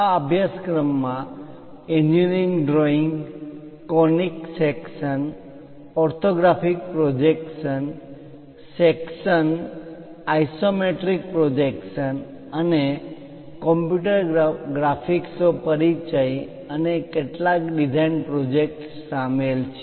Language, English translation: Gujarati, The course contains basically contains engineering drawings, conic sections, orthographic projections, sections isometric projections and overview of computer graphics and few design projects